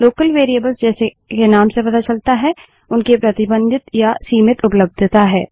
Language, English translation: Hindi, Local Variables , which as the name suggests have a more restricted or limited availability